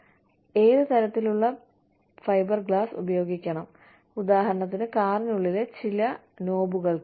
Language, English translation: Malayalam, And, what type of fiber glass to use, for maybe, some knobs within the car